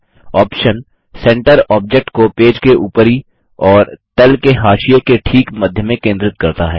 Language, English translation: Hindi, The option Centre centres the object exactly between the top and bottom margins of the page